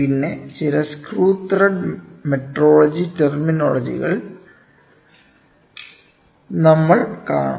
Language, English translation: Malayalam, Then, some of the terminologies screw thread metrology terminologies we will see